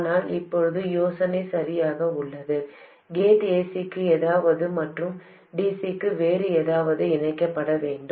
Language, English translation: Tamil, The gate has to get connected to something for AC and something else for DC